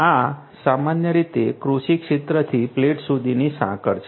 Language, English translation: Gujarati, This is typically the chain from the agricultural field to the plate